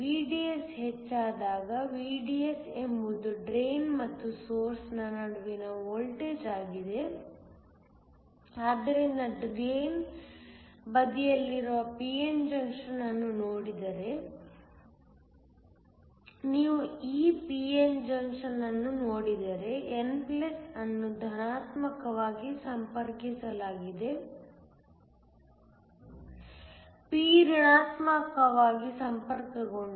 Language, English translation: Kannada, When a VDS increase, VDS is the voltage between the drain and the source, so as VDS increases if you look at the p n junction on the drain side, if you look at this p n junction, n+ is connected to positive p is connected to negative